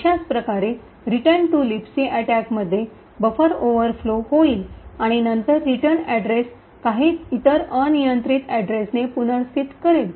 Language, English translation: Marathi, In a similar way the return to LibC attack would overflow the buffer and then replace the return address with some other arbitrary address